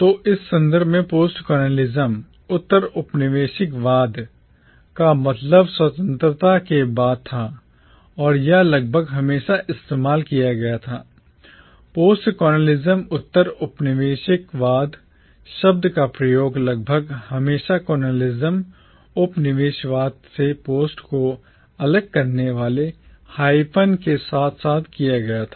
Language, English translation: Hindi, So in this context postcolonialism meant post independence and it was almost always used, the word postcolonialism was almost always used with a hyphen separating “post” from “colonialism”